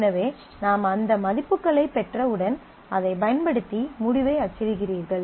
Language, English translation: Tamil, So, once you have got this you are you are using those values to print out the result